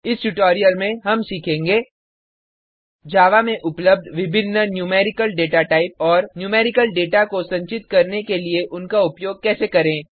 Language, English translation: Hindi, In this tutorial, we will learn about: The various Numerical Datatypes available in Java and How to use them to store numerical data